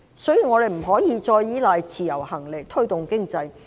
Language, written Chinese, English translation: Cantonese, 所以，我們現在不能再依賴自由行來推動經濟。, Therefore we can no longer rely on the Individual Visit Scheme to drive the economy now